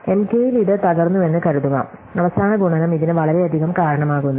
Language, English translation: Malayalam, Assuming that it was broken at M k, the last multiplication causes this much